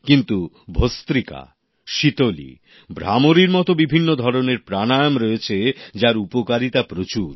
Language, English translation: Bengali, But there are many other forms of Pranayamas like 'Bhastrika', 'Sheetali', 'Bhramari' etc, which also have many benefits